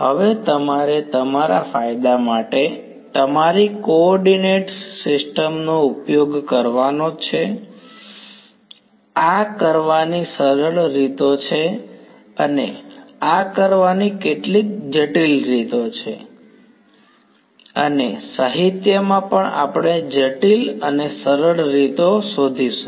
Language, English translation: Gujarati, Now you should you should use your coordinate system to your advantage, there are sort of simple ways of doing this and there are some very complicated ways of doing this and even in the literature we will find complicated and simple ways